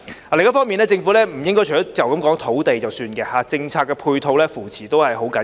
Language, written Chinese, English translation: Cantonese, 另一方面，政府不應該只談提供土地便作罷，政策配套和扶持亦十分重要。, On a different note the Government should not just be all talk when it comes to provision of land but policy support and backing are also very important